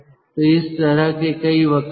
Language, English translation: Hindi, so there are host of curves like this